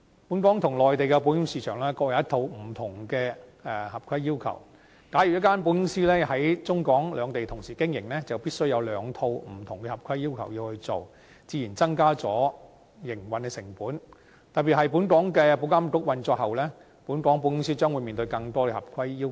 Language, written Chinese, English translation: Cantonese, 本港與內地的保險市場各有一套不同的合規要求，假如一間保險公司在中港兩地同時經營，就必須按照兩套不同的合規要求去做，自然會增加營運成本，特別是本港保險業監管局運作後，本港保險公司將面對更多合規要求。, As Hong Kong and the Mainland has a separate set of compliance requirements for their insurance market an insurance company operating simultaneously on the Mainland and in Hong Kong will have to follow two different sets of compliance requirements and its operating costs will naturally be increased . In particular following the operation of the Insurance Authority IA Hong Kong insurance companies have to face more compliance requirements